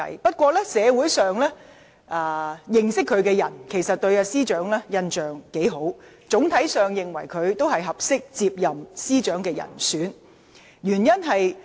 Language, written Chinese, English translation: Cantonese, 不過，社會上認識司長的人，對她的印象不錯，整體上認為她是出任司長的合適人選。, However members of the community who had been acquainted with her have a good impression of her and generally consider her to be the suitable candidate for the position